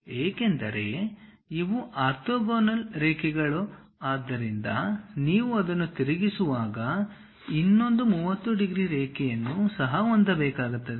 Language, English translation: Kannada, Because these are orthogonal lines; so when you are rotating it, the other one also makes 30 degrees line